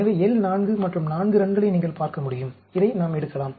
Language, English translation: Tamil, So, we can pick up the, as you can see, L 4 and 4 runs, we can pick up this